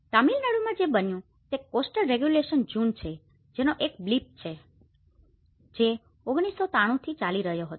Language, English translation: Gujarati, In Tamil Nadu what happened was there is a coastal regulation June which has a blip, which has been from 1993